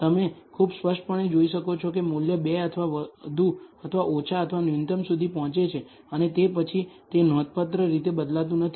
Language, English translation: Gujarati, You can see very clearly that the value reaches more or less or minimum at 2 and afterwards it does not significantly change